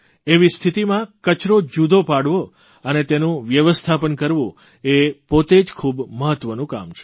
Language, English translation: Gujarati, In such a situation, the segregation and management of garbage is a very important task in itself